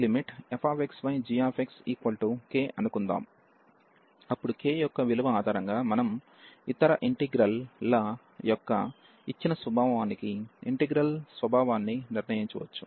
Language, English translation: Telugu, Suppose, this limit is coming to be k, then based on the value of k we can decide the nature of the integral for the given nature of the other integral